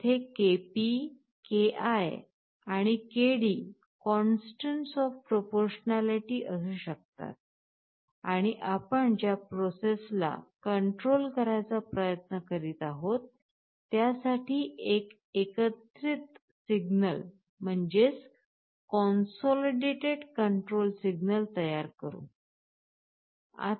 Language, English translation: Marathi, There can have three different constants of proportionalities Kp, Ki and Kd, and you generate a consolidated control signal for the process you are trying to control